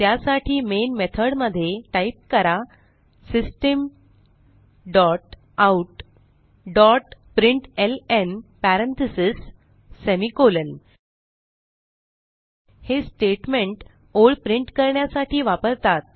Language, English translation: Marathi, So inside main method typeSystem dot out dot println parentheses semi colon This is the statement used to print a line